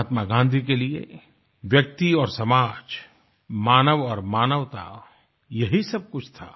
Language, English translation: Hindi, For Mahatma Gandhi, the individual and society, human beings & humanity was everything